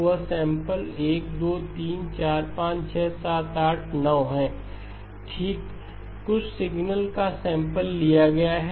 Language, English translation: Hindi, So that is sample number 1, 2, 3, 4, 5, 6, 7, 8, 9 okay, some signal that has been sampled okay